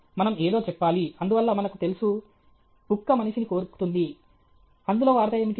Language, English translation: Telugu, Okay we should say something, so that’s what we say know, dog bites man; what is news